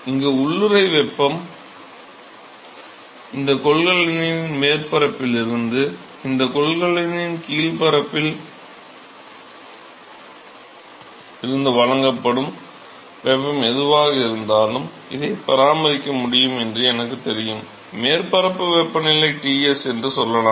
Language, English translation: Tamil, Because there is latent heat which is involved here and so, whatever heat that is supplied from the surface of this container, the bottom surface of this container, let us say that I know I can maintain this let us say at some surface temperature Ts